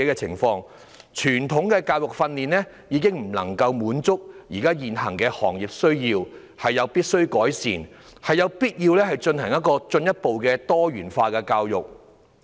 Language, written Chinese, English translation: Cantonese, 傳統的教育訓練已經不能夠滿足現有的行業需要，有必要改善，有必要推行多元化教育。, Traditional modes of education and training can no longer cater for the needs of various sectors in the present day . Improvements are required and the promotion of diversification of education is necessary